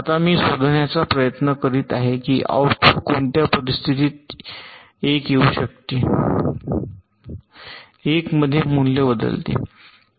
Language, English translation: Marathi, now i am trying to find out under what conditions can the output value change to one